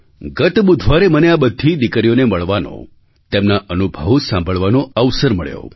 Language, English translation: Gujarati, Last Wednesday, I got an opportunity to meet these daughters and listen to their experiences